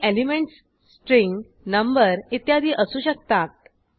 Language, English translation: Marathi, Elements can be string, number etc